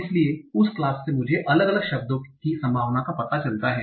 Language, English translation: Hindi, So from the class, I find out the probability of different words